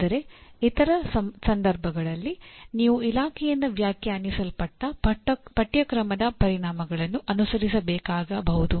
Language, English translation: Kannada, But in other cases you may have to follow the course outcomes as defined by the department itself